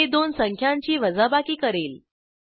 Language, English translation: Marathi, This will perform subtraction of two numbers